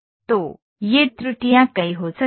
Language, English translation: Hindi, So, these errors can be many